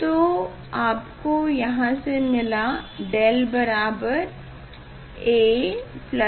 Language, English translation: Hindi, del you are getting here a plus b by 2 ab S square